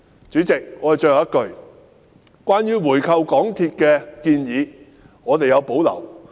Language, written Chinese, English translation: Cantonese, 主席，最後一句，我們對回購港鐵公司的建議有保留。, One last point President we have reservations about the proposal of buying back MTRCL